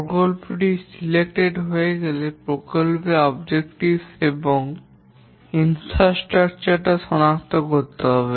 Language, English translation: Bengali, Once the project has been selected, we need to identify the project objectives and the infrastructures